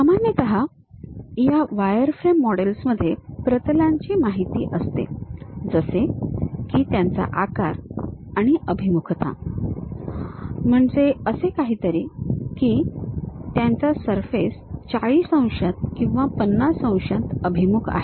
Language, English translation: Marathi, Usually this wireframe models contain information on planes such as the size and orientation; something like whether the surface is oriented by 40 degrees, 50 degrees and so on